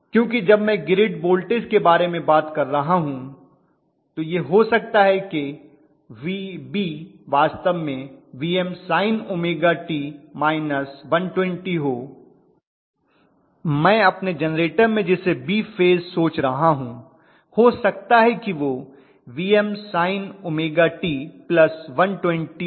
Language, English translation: Hindi, Because when I am talking about the grid voltage may be it is Vb is actually Vm fine omega T minus 120, may be my B phase what I am thinking as B phase in my generator will be Vm fine omega T plus 120